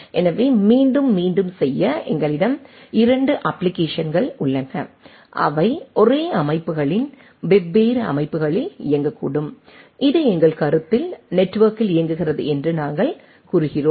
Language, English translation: Tamil, So, again just to repeat, we have 2 applications which at it may be running at different systems of the same systems for our consideration we say that over the network it is running